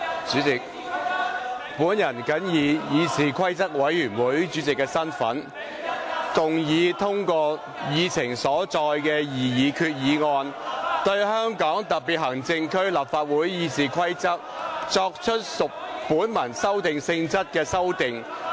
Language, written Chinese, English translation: Cantonese, 主席，本人謹以議事規則委員會主席的身份，動議通過議程所載的擬議決議案，對香港特別行政區立法會《議事規則》，作出屬本文修訂性質的修訂。, President in my capacity as Chairman of the Committee on Rules of Procedure CRoP I move that the proposed resolution as printed on the Agenda be passed so as to make textual amendments to the Rules of Procedure of the Legislative Council of the Hong Kong Special Administrative Region RoP